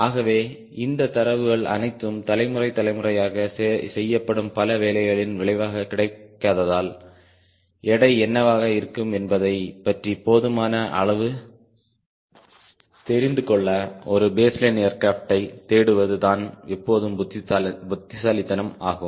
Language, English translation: Tamil, so since all these data are available, which are result of lot of work done by generation after generation, it is always wise to look for a baseline airplane to get enough idea what will be the weight